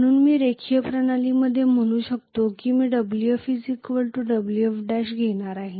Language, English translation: Marathi, So I can say in linear system I am going to have Wf equal to Wf dash